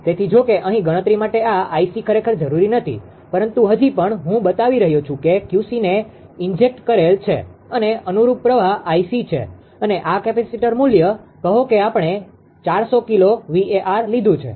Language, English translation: Gujarati, So, you although here for the calculation this I c actually is not require, but still I have showing that Q c being injected and corresponding current is I c and this capacitor value; say we have taken 400 kilowatt right